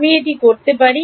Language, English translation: Bengali, I can do that